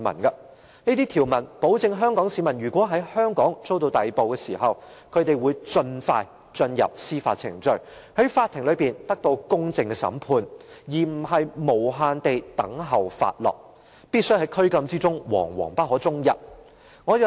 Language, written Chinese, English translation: Cantonese, 這項條文保障香港市民如果在香港遭到逮捕時，會盡快進入司法程序，在法庭得到公正的審判，而不會無限期等候發落，在拘禁中惶惶不可終日。, This provision ensures that should Hongkongers be arrested in Hong Kong they will expeditiously be brought to legal proceedings and receive a fair trial in court . They will not indefinitely wait for the decision of the Court and remain on tenterhooks in custody